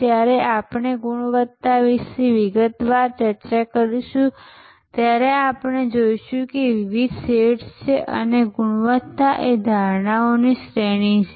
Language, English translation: Gujarati, When we discuss in detail about quality, we will see that there are different shades, quality is a range of perceptions